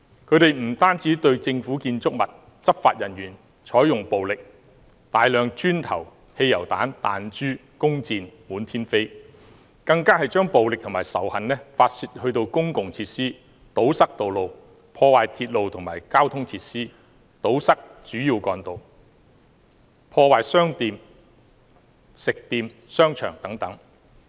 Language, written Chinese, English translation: Cantonese, 他們不單對政府建築物和執法人員採用暴力，大量磚頭、汽油彈、彈珠和弓箭滿天飛，更將暴力和仇恨發泄在公共設施上，又堵塞道路，破壞鐵路和交通設施，堵塞主要幹道，破壞商店、食店、商場等。, They hurled a multitude of bricks petrol bombs objects using slingshots and shot arrows at government buildings and enforcement officers . They even vented their brutality and hatred on public facilities . They blocked roads vandalized railways and transport facilities erected barricades on main roads vandalized shops restaurants and shopping malls etc